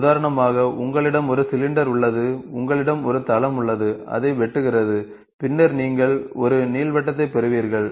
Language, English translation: Tamil, For example, you have a cylinder, you have a plane, cuts it, and then you get an ellipse